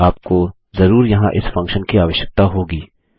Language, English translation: Hindi, You will, of course, need this function inside here, as well